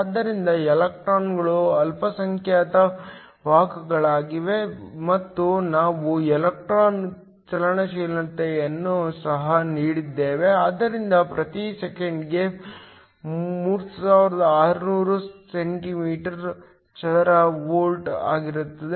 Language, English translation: Kannada, So, electrons are the minority carriers, and we have also given the electron mobility, so μe to be 3600 centimeter square per volt per second